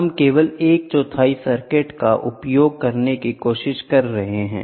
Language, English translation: Hindi, We are trying to use only 1 quarter of the circuit